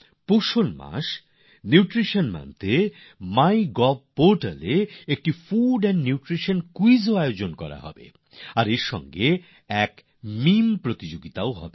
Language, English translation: Bengali, During the course of the Nutrition Month, a food and nutrition quiz will also be organized on the My Gov portal, and there will be a meme competition as well